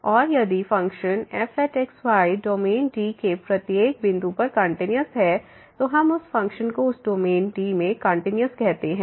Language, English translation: Hindi, And if a function is continuous at every point in the domain D, then we call that function is continuous in that domain D